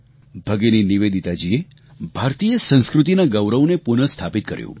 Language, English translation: Gujarati, Bhagini Nivedita ji revived the dignity and pride of Indian culture